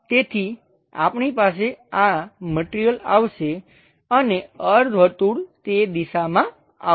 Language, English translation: Gujarati, So, we will have this material comes and semi circle comes in that direction